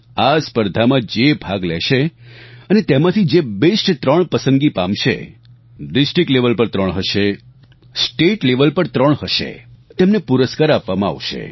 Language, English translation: Gujarati, The best three participants three at the district level, three at the state level will be given prizes